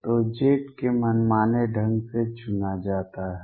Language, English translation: Hindi, So, z is chosen arbitrarily